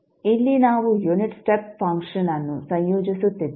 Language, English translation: Kannada, Here, we are integrating the unit step function